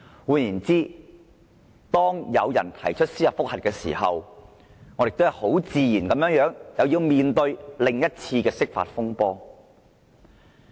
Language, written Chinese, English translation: Cantonese, 換言之，當有人對該條例提出司法覆核時，我們很自然要面對另一次的釋法風波。, In other words if someone initiates a judicial review on the Ordinance we will have to face another dispute over the interpretation of the Basic Law